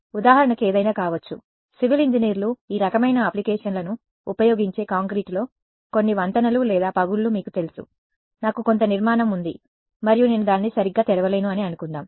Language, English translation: Telugu, Could be anything it could be for example, you know some bridge or cracks in concrete that is what civil engineers use these kinds of applications; let us say I have some structure and I do not want to I cannot open it up right